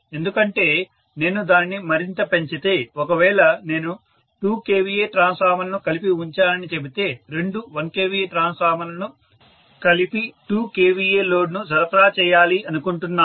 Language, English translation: Telugu, Because if I increase it further, if I say that I have put 2 kVA transformers together, two 1 kVA transformers together because I wanted to supply a 2 kVA load, at 1